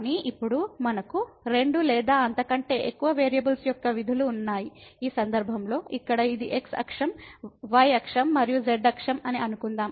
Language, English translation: Telugu, But now, we have functions of two or more variables, in this case suppose here this is axis, axis and axis